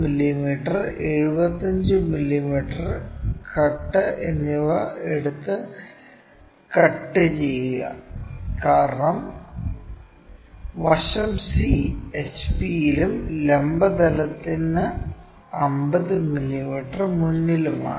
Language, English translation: Malayalam, So, this is the c point locate 50 mm cut and also 75 mm cut, because end C is in HP and 50 mm in front of vertical plane, I am sorry